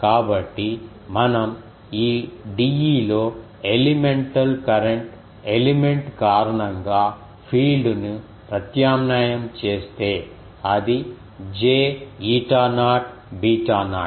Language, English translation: Telugu, So, that if we substitute in this d E the element the field due to the elemental current element, then it will be j eta naught beta naught